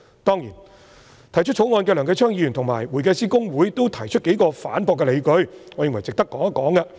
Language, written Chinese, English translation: Cantonese, 當然，提出《條例草案》的梁繼昌議員及公會均提出數個反駁的理據，我認為值得談談。, Certainly Mr Kenneth LEUNG mover of the Bill and HKICPA have raised a number of points to rebut this argument . I think this issue is worth discussing